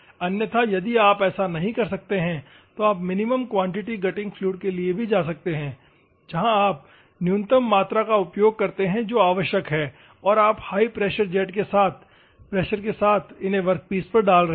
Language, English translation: Hindi, Otherwise, if you cannot do that one, you can go for minimum quantity grinding fluids where you use the minimum amount which is required and you are pressurizing with high pressure jets